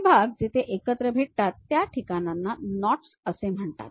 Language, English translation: Marathi, The places where the pieces meet are known as knots